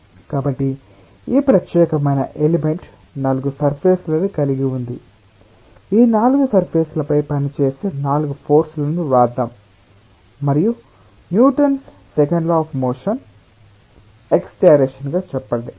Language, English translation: Telugu, let us write the force forces which are acting on these four surfaces and write the newtons, second law of motion along the x direction